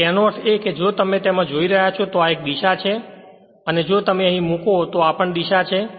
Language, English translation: Gujarati, So that means you are because here it is if you look into that this is a direction and if you put here this is also direction